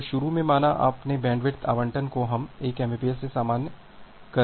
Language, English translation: Hindi, So, initially say your bandwidth allocation we are normalizing it in 1 mbps